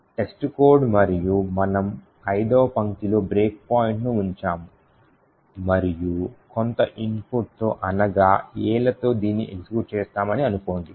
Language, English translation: Telugu, Test code will list and we put a breakpoint in line number 5 and run it with some input say A’s ok